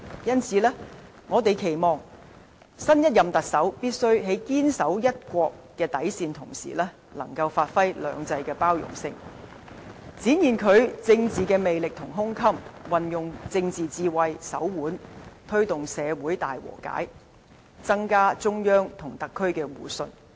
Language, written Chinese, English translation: Cantonese, 因此，我們期望，新一任特首必須堅守"一國"底線，亦能同時發揮"兩制"的包容性，展現政治魅力和胸襟，運用政治智慧和手腕，推動社會大和解，增強中央與特區的互信。, Therefore we hope the next Chief Executive can insist on upholding the bottom line of one country while elaborating the tolerance under two systems demonstrating charisma and broad - mindedness in politics utilizing political wisdom and skills to promote reconciliation in society and strengthen the mutual - trust between the Central Authorities and the SAR